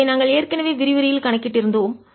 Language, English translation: Tamil, this we had already calculated in the lecture